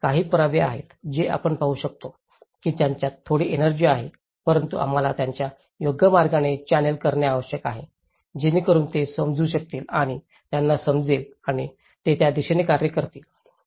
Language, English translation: Marathi, These are some evidences, which we can see that they have some energy but we need to channel them in a right way so that they can understand and they can realize and they work towards it